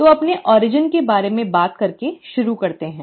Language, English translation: Hindi, So let me start by talking about our own origin